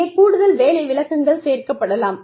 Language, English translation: Tamil, Here, additional job descriptions, could be added